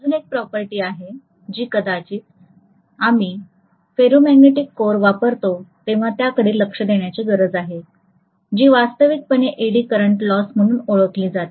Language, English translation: Marathi, There is one more property which probably we will need to look at when we use a ferromagnetic core which is actually known as Eddy current loss, okay